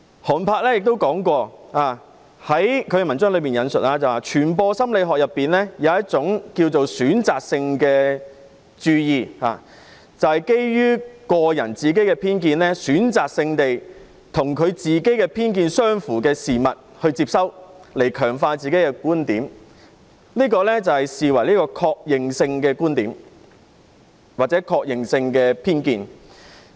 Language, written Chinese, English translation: Cantonese, 寒柏的文章亦提到，傳播心理學論及一種選擇性注意，指人們會選擇性地接收與自己偏見相符的事物，以強化自己的觀點，即是確認觀點或偏見。, Han Bais article also mentioned the concept of selective attention in Communication Psychology . It means that people will selectively receive messages which are consistent with their prejudices to reinforce or affirm their viewpoints